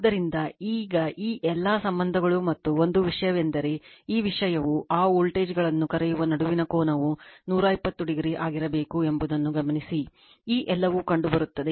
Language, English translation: Kannada, So, now so this is all this relationships and you one thing is this thing that note that your that angle between this what you call voltages, it will be difference should be 120 degree, this all we have seen right